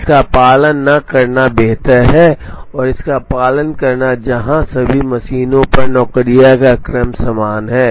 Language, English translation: Hindi, It is better not to follow this, and to follow this where the sequence of jobs is the same on all the machines